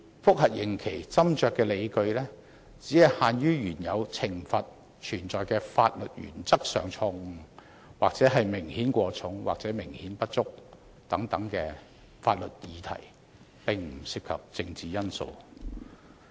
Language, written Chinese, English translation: Cantonese, 覆核刑期斟酌的理據，只限於原有懲罰存在法律原則上的錯誤，或明顯過重、或明顯不足等法律議題，並不涉及政治因素。, The sentences review should only consider legal matters relating to the original sentences such as an error of law or of principle or the manifest inadequacy or excessiveness of the punishments . It involves no political considerations